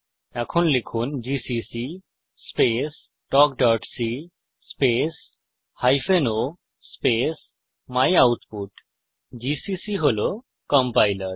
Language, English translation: Bengali, Type gcc space talk.c space hyphen o space myoutput gcc is the compiler talk.c is our filename